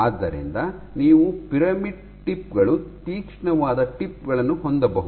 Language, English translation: Kannada, So, you can have pyramidal tips sharp tips